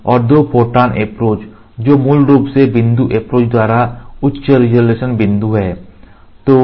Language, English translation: Hindi, We will see Two photon approach that are essentially high resolution point by point approach